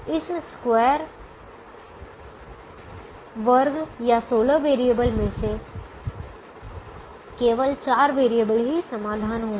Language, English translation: Hindi, out of these square or sixteen variables, only four variables will be the solution